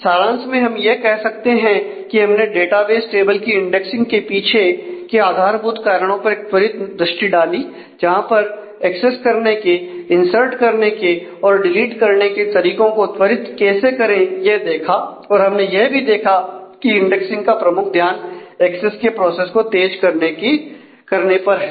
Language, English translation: Hindi, So, to summarize we have taken a brief look at the basic reasons for indexing database tables which is to speed up the process of access insert and delete and we have seen that primarily indexing primarily focuses on speeding up the access process